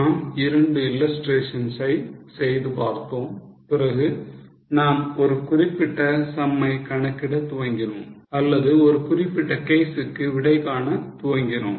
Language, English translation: Tamil, We have also done two illustrations and then we started on calculating a particular sum or solving a particular case